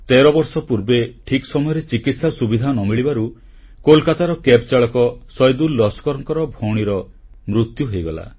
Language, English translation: Odia, Thirteen years ago, on account of a delay in medical treatment, a Cab driver from Kolkata, Saidul Laskar lost his sister